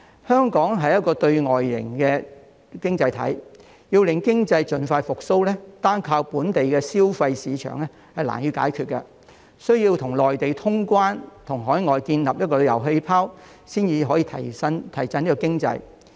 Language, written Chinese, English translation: Cantonese, 香港是對外型的經濟體，要令經濟盡快復蘇，單靠本地消費市場難以解決，需要與內地通關，以及與海外建立旅遊氣泡，才可以提振香港經濟。, Being an externally oriented economy it is hard for Hong Kongs economy to recover expeditiously relying solely on the local consumer market . Cross - border travel between Hong Kong and the Mainland must be resumed and travel bubbles with foreign countries must be established in order to boost Hong Kongs economy